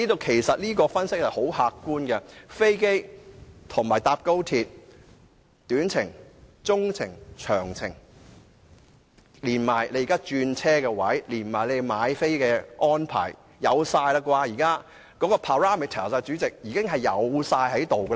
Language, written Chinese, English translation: Cantonese, 其實，這項分析極為客觀，而乘搭飛機與高鐵短、中、長途的旅程時間，轉車位置和售票安排等資料，現時亦應已備妥。, In fact the analysis is very objective . Information including the travelling times by plane and by XRL for short - medium - and long - haul trips interchange locations and fare arrangements etc . should be available by now